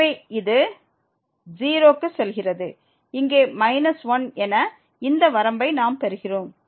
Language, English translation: Tamil, So, this goes to 0 and we get this limit as here minus 1